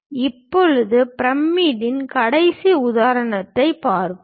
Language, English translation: Tamil, Now, let us look at a last example pyramid